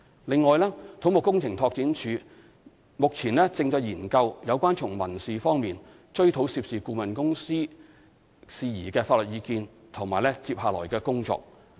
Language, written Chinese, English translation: Cantonese, 另外，土木工程拓展署目前正在研究有關從民事方面追討涉事顧問公司事宜的法律意見及接下來的工作。, Besides CEDD is currently studying the legal advice pertaining to the pursuit of civil claims against the consultant involved